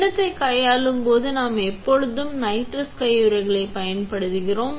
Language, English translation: Tamil, When handling the bowl set, we always use nitrile gloves on the outside